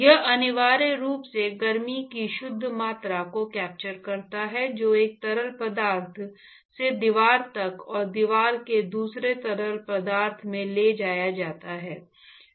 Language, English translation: Hindi, It is essentially captures the net amount of heat that is transported from one fluid to the wall and from wall to the other fluid